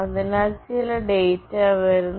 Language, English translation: Malayalam, So, some data are coming